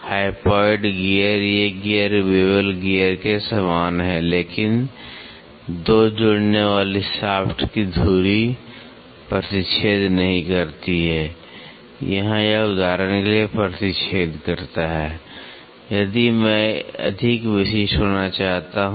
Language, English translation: Hindi, Hypoid gear, these gears are very similar to bevel gear, but the axis of the 2 connecting shafts do not intersect, here it intersects for example, if I want to be more specific